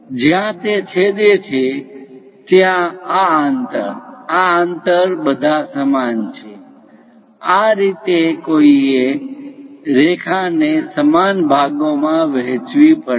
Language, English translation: Gujarati, So that wherever it is intersecting; this distance, this distance, this distance all are equal; this is the way one has to divide the line into equal parts